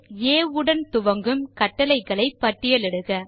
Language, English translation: Tamil, list out the commands starting with a